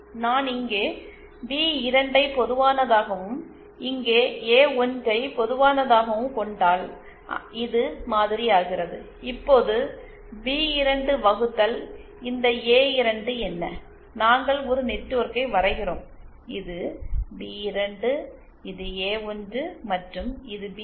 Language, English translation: Tamil, If I take B2 common here and A1 common here, then this becomesÉ Now what is this A2 upon B2É we draw a networkÉ This is B2, this is A1 and this is B1